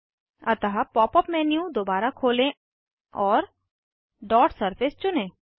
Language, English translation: Hindi, So, open the Pop up menu again, and choose Dot Surface